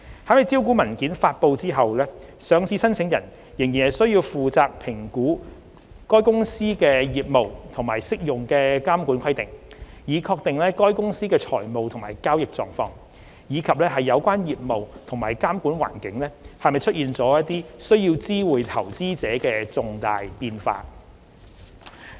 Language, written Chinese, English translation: Cantonese, 在招股文件發布後，上市申請人仍需負責評估該公司的業務和適用的監管規定，以確定該公司的財務及交易狀況，以及有關業務或監管環境是否出現需知會投資者的重大變化。, Listing applicants will still be required to be responsible for assessing their businesses and the applicable regulatory requirements in order to ascertain whether there have been material changes in the companys financial and trading positions as well as the relevant business and regulatory environment warranting notification to investors after the listing documents are published